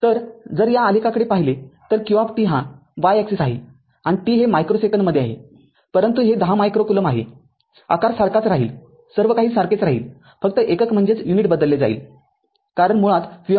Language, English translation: Marathi, So, if you look at the graph that qt this is this is my q t y axis is q t and this is my t micro second, but this micro coulomb, it is 10 the shape remain same everything will remain same right only thing is that unit will change because q t is equal to basically v t right